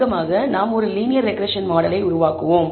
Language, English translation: Tamil, So, to start with let us build a linear regression model